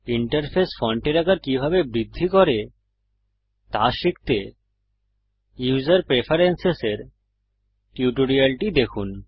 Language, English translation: Bengali, To learn how to increase the Interface font size please see the tutorial on User Preferences